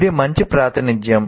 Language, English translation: Telugu, It's a graphic representation